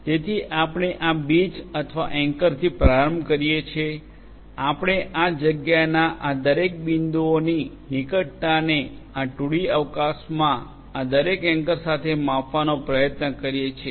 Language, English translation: Gujarati, So, we start with these seeds or the anchors, we try to measure the proximity of each of these points in this space in this 2D space to each of these anchors